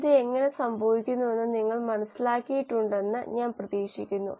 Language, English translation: Malayalam, I hope you have understood how this is happening